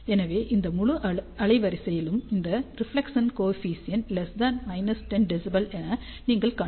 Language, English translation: Tamil, So, in this entire bandwidth, you can see that reflection coefficient is less than minus 10 dB